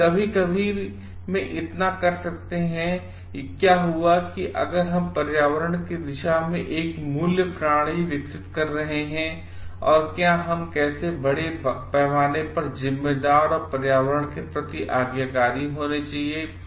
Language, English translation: Hindi, But in sometimes it may so happened like if we are not developing a value system towards the environment, and how we should be responsible and dutiful towards the environmental at large